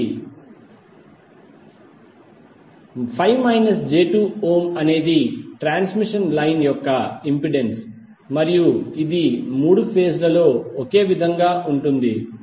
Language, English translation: Telugu, 5 minus j2 ohm is the impedance of the transmission line and it is the same in all the three phases